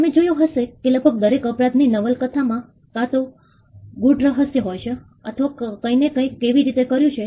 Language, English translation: Gujarati, You would have seen that almost every novel in crime could either be a whodunit or how somebody did something